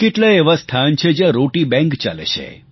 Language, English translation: Gujarati, There are many places where 'Roti Banks' are operating